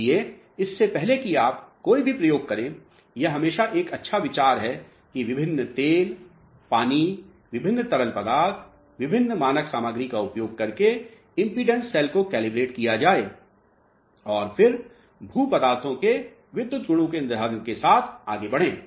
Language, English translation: Hindi, So, before you run any experiment it is always a good idea to calibrate the impedance cells by using different oils, water, different fluids, different standard materials and then go ahead with determination of electrical properties of geomaterials